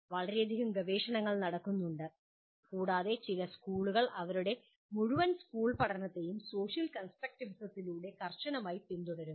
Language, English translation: Malayalam, And there is enormous amount of research that is done and some schools follow strictly their entire school learning through social constructivism